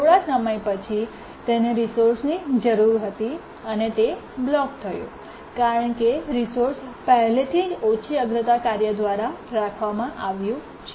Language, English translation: Gujarati, After some time it needed the resource and it blocked because the resource is already being held by the low priority task